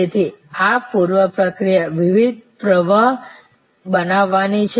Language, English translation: Gujarati, So, these are preprocessing creating different streams